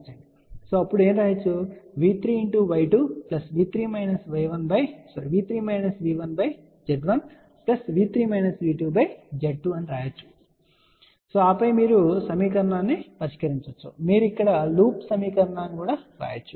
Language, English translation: Telugu, So, we can say that V 3 times Y 2 V plus V 3 minus V 1 divided by Z 1 plus V 3 minus V 2 divided by Z 1, and then you can solve the equation or you can write a loop equation here loop equation here